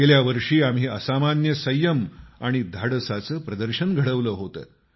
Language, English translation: Marathi, Last year, we displayed exemplary patience and courage